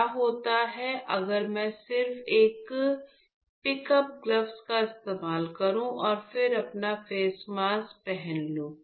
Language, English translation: Hindi, So now, what happens is what if I just use the picked up the gloves and then wear my face mask